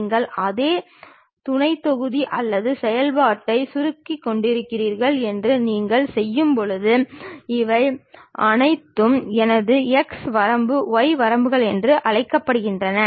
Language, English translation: Tamil, When you do that you are basically shrinking the same sub module or function you are all the time calling these are my x limits, y limits